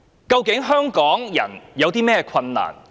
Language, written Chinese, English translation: Cantonese, 究竟香港人正面對甚麼困難呢？, What difficulties are faced by Hong Kong people these days?